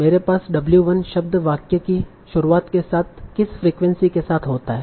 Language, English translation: Hindi, So I have in the start of the sentence whether the word W1 occurs with what probability